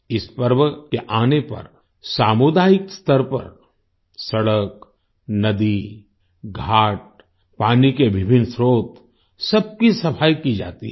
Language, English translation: Hindi, On the arrival of this festival, roads, rivers, ghats, various sources of water, all are cleaned at the community level